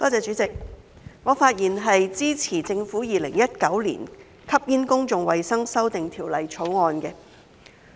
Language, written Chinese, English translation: Cantonese, 主席，我發言支持政府《2019年吸煙條例草案》。, President I speak in support of the Smoking Amendment Bill 2019 the Bill put forth by the Government